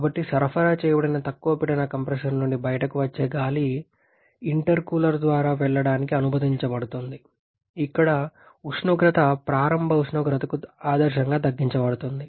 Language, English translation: Telugu, So, the air which is coming out of the low pressure compressor that is supplied is allowed to pass through an intercooler, where is temperature is reduced ideally back to the initial temperature